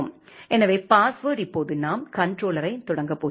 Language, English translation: Tamil, So, the password now we are going to start the controller